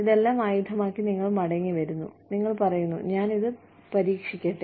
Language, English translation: Malayalam, You come back, armed with all this, and you say, may I experiment it